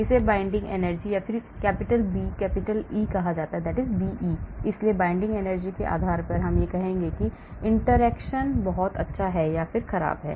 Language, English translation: Hindi, that is called the binding energy, BE, so based on the binding energy I will say the interaction is very good or the interaction is very poor